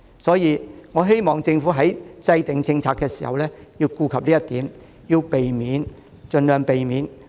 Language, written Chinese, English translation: Cantonese, 所以，我希望政府在制訂政策時要顧及這一點，盡量避免扼殺中小微企。, Hence I hope the Government will take this into account when formulating policies and avoid stifling micro small and medium enterprises by all means . I so submit